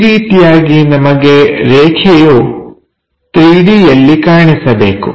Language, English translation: Kannada, This is the way the line in 3 D supposed to look like